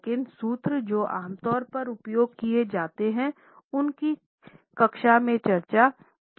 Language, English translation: Hindi, But the formulas which are normally used are being discussed in the class